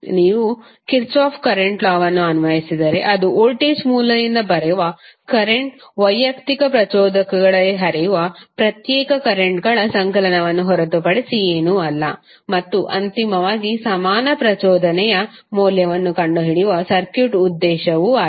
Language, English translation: Kannada, So if you if you apply Kirchhoff’s current law, you will get i that is the current coming from the voltage source is nothing but the summation of individual currents flowing in the individual inductors and finally the objective is to find out the value of equivalent inductance of the circuit